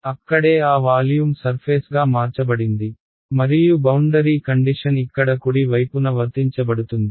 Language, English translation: Telugu, That is where so that volume has been converted to a surface and boundary condition will get applied on the right hand side over here ok